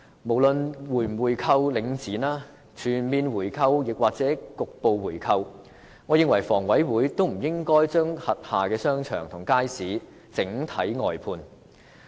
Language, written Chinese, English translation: Cantonese, 無論是否購回領展、全面回購或局部回購，我認為房委會也不應該將轄下商場和街市整體外判。, Whether or not the Government will buy back Link REIT fully or partially I think it is inadvisable for HA to outsource its shopping arcades and markets completely